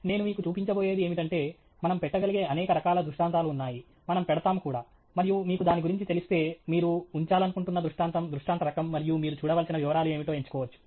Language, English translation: Telugu, What I am going to show you is that there are varieties of illustrations that we can put up, that we do put up; and if you are aware of it, you can choose which is the illustration type of illustration that you wish to put up, and what are kinds of details that you need to look at